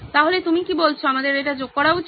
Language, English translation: Bengali, So are you saying we add that also into